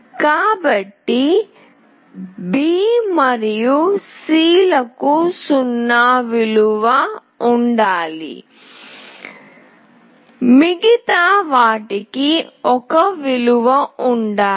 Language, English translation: Telugu, So, B and C should have a 0 value all else will have 1 value